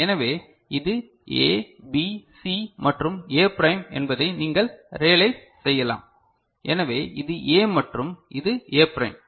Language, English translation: Tamil, So, you can realize this is A, B, C and A prime, so this is A and this is A prime ok